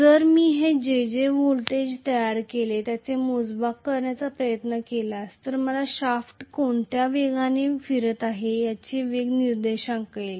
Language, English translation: Marathi, So, if I try to measure the voltage what is generated that will give me an index of what is the speed at which the shaft is rotating